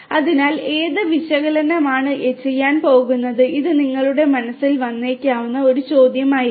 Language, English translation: Malayalam, So, which analytics are going to be done this might be a question that might come to your mind